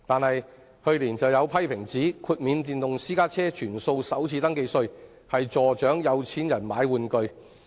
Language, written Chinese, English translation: Cantonese, 然而，去年有批評指出，全數豁免電動私家車首次登記稅變相資助"有錢人買玩具"。, However some critics pointed out last year that full exemption of the first registration tax FRT for electric private cars is tantamount to subsidizing rich people to buy toys